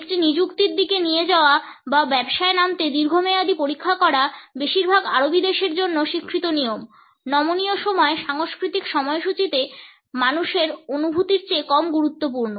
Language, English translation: Bengali, Being led to an appointment or checking a long term to get down to business is the accepted norm for most Arabic countries; for flexible time cultures schedules are less important than human feelings